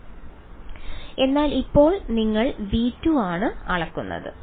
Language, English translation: Malayalam, But that is now you are measuring v 2 right